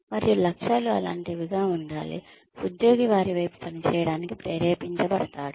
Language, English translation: Telugu, And, objectives should be such that, the employee is motivated to work towards them